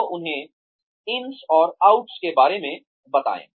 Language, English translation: Hindi, So, tell them about, the ins and outs